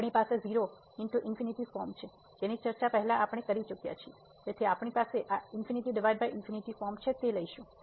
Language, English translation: Gujarati, So, we have 0 into infinity form which we have already discuss before so, we will bring into this infinity by infinity form